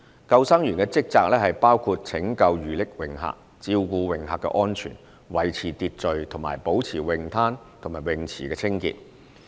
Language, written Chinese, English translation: Cantonese, 救生員的職責包括拯救遇溺泳客、照顧泳客的安全、維持秩序及保持泳灘和泳池清潔。, The duties of lifeguards include rescuing drowning swimmers ensuring the safety of swimmers maintaining order and keeping beaches and swimming pools clean